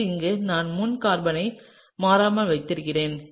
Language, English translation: Tamil, So here, I am keeping the front carbon constant